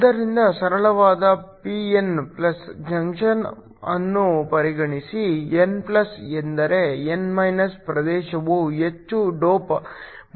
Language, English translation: Kannada, So, consider a simple p n+ junction, the n+ means that the n region is heavily doped